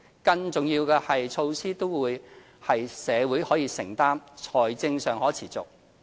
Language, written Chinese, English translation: Cantonese, 最重要是，措施都是社會可承擔、財政上可持續。, Above all these are all socially affordable and financially sustainable measures